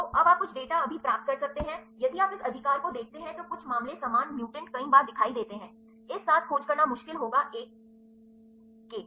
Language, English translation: Hindi, So, now you get the some of the data right now, if you the if you see this right some cases the same mutants appears several times, that will be difficult to search with this one